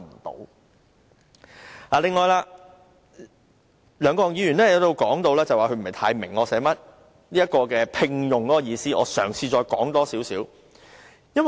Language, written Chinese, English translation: Cantonese, 對於梁國雄議員說他不太明白"聘用"的意思，我嘗試再多一點解說。, Mr LEUNG Kwok - hung said he did not quite understand the exemption concerning the engagement of veterinary surgeons . I will try to give further explanation